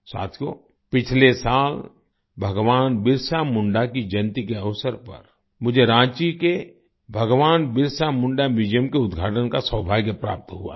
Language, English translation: Hindi, Friends, Last year on the occasion of the birth anniversary of Bhagwan Birsa Munda, I had the privilege of inaugurating the Bhagwan Birsa Munda Museum in Ranchi